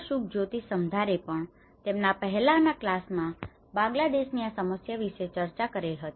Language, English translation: Gujarati, Subhajyoti Samaddar have also discussed about some issues with Bangladesh